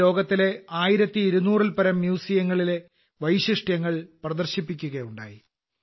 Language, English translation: Malayalam, It depicted the specialities of more than 1200 museums of the world